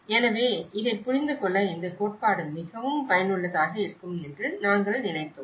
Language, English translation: Tamil, So, that is where we thought this theory is most useful to understand this